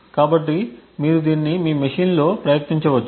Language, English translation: Telugu, So, you can actually try this out on your machines